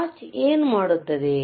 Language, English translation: Kannada, wWhat does a watch do